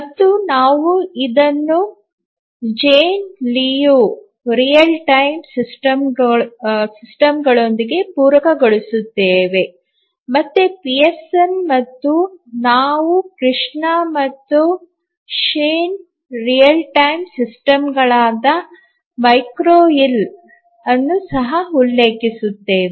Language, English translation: Kannada, And we will supplement this with Jane Liu Real Time systems, again Pearson and then we will also refer to Krishna and Shin Real Time systems McGraw Hill